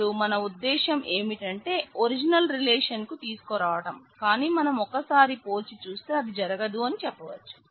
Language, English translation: Telugu, Now, our desire was that we must get back the original relation, but if you compare, you will find that this is not the case here